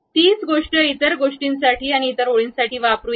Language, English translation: Marathi, Let us use the same thing for other line